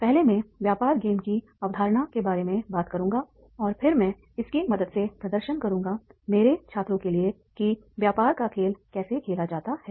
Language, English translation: Hindi, First, I will talk about the concepts of the business game and then I will demonstrate with the help of my students that is the how business game is to be played